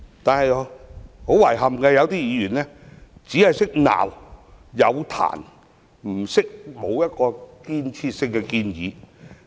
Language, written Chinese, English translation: Cantonese, 不過，遺憾的是，有議員只懂批評，卻沒有提出具建設性的建議。, But regrettably some Members have merely kept levelling criticisms without putting forth any constructive recommendations